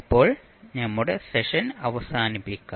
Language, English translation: Malayalam, So now let us close our session at this point of time